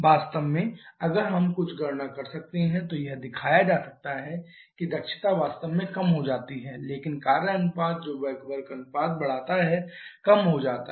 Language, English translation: Hindi, In fact if we can do some calculation can be shown that efficiency actually decreases however the work ratio that increases back work ratio decreases